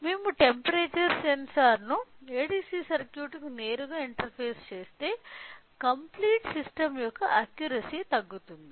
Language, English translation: Telugu, The reason is that when we look into when if we directly interface the temperature sensor to the ADC circuit the accuracy of the complete system will come down